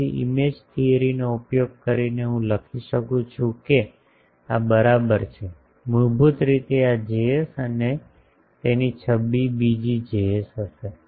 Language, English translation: Gujarati, So, the by invoking image theory I can write that equivalent to this is; basically this Js and the image of that will be another Js